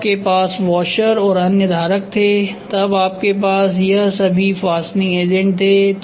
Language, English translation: Hindi, Then you had washers and other holders then you had all this fastening agents